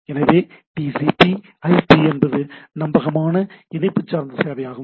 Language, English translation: Tamil, So, TCP, FTP is a reliable connection oriented service right